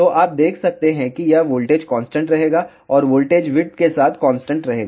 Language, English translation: Hindi, So, you can see that this voltage will remain constant and voltage will remain constant along the width